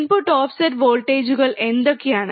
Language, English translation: Malayalam, What are input offset voltages